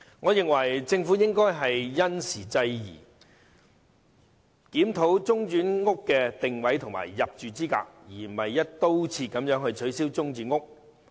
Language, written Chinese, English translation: Cantonese, 我認為政府應該因時制宜，檢討中轉房屋的定位和入住資格，而不是"一刀切"取消中轉房屋。, I think the Government should take measure suited to the time it should review the positioning of and eligibility for interim housing instead of scrapping it across the board